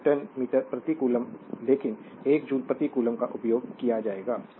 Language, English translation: Hindi, So, one Newton meter per coulomb, but 1 joule per coulomb there will be used